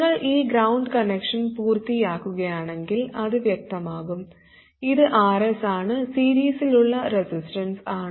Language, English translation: Malayalam, If you complete this ground connection, it becomes obvious, it's RS and this resistance in series